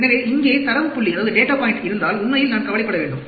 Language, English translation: Tamil, So, if there is data point coming here, then I should get worried, actually